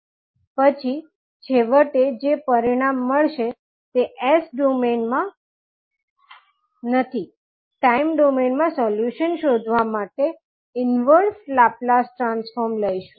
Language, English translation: Gujarati, And then finally what result we get that is not as s domain will take the inverse laplace transform to find the solution in time domain